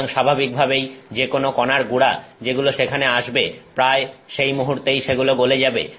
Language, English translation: Bengali, So, naturally any powder particle that comes there almost instantaneously melts